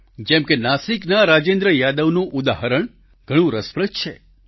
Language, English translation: Gujarati, The example of Rajendra Yadav of Nasik is very interesting